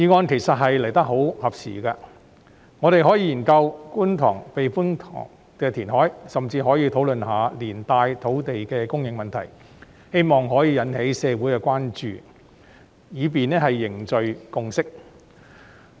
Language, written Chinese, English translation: Cantonese, 其實這項議案來得很合時，我們可以研究觀塘避風塘填海計劃，甚至可以討論一下連帶的土地供應問題，以期引起社會關注，凝聚共識。, Indeed this motion is very timely . We can study the Kwun Tong Typhoon Shelter reclamation project and even discuss the associated land supply issue with a view to arousing awareness in society and forging consensus